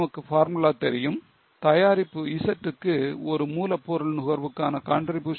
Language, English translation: Tamil, We know the formula that for product Z contribution per raw material consumption is 0